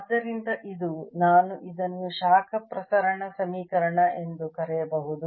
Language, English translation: Kannada, ok, so this is the i can call heat diffusion equation